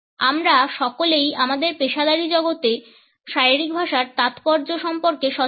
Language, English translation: Bengali, All of us are aware of the significance of body language in our professional world